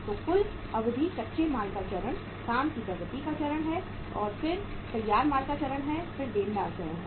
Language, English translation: Hindi, So total duration is raw material stage, work in progress stage, then finished goods stage, then is the debtor stage